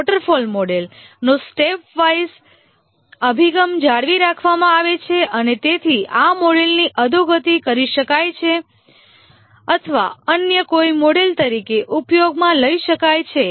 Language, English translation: Gujarati, The step wise approach of the waterfall model is retained and therefore this model can be degenerated or can be used as any other model